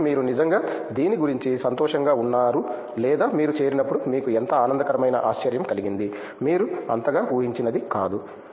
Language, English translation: Telugu, So, what did you really feel happy about or what was a pleasant surprise for you when you joined which you had not may be as much anticipated